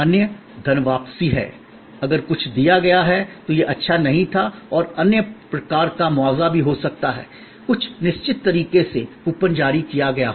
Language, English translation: Hindi, Other, there is a refund given, if something has been deliver done, it was not good and the compensation of other types maybe also there in certain way, coupon maybe issued for future redemption and so on